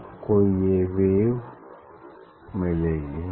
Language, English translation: Hindi, you will get this wave